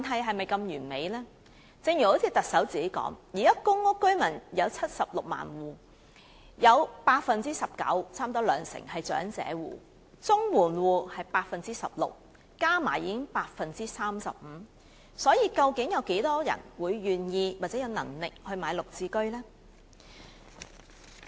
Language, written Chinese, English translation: Cantonese, 正如行政長官自己也提到，現在公屋居民有76萬戶，其中 19%， 即差不多兩成是長者戶；綜援戶則有 16%， 合計已經是 35%， 有多少人會願意或有能力購買"綠置居"呢？, As mentioned by the Chief Executive herself at present there are 760 000 PRH households . Among them 19 % that means almost one fifth are elderly households whereas 16 % are households on Comprehensive Social Security Assistance . They already add up to 35 %